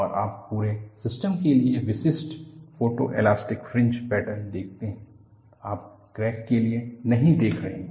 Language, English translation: Hindi, And you see the typical photo elastic fringe pattern for the whole system; you are not seeing for the crack